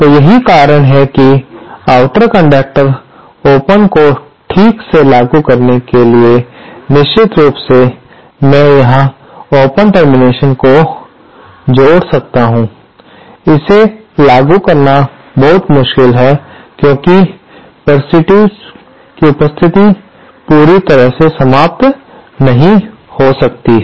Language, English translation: Hindi, So, that is why the outer conductor, to properly implement an open, of course, I might add here that open terminal is very difficult to implement in practice because the presence of parasitics cannot be totally eliminate